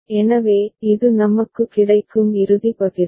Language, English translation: Tamil, So, this is the final partition that we get